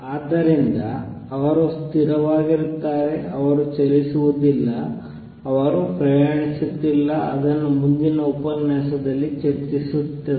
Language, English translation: Kannada, So, they are stationary they not move they are not traveling which will discuss in the next lecture